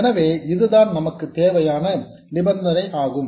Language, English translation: Tamil, So, this is the condition that we need